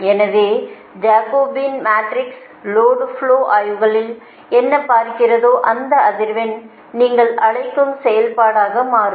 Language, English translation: Tamil, so in that case that jacobian matrix, whatever will see in the load flow studies, it will become the function of your what you call that frequency